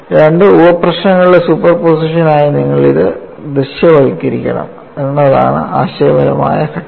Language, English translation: Malayalam, The conceptual step is you have to visualize this as superposition of two sub problems